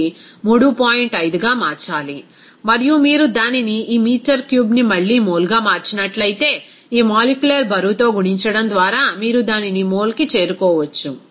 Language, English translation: Telugu, 5 and if you convert it to this meter cube into again into mole, what is that you can get it to the mole just by multiplying it with this molecular weight